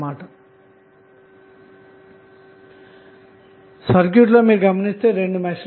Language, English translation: Telugu, If you see the circuit you will get two meshes in the circuit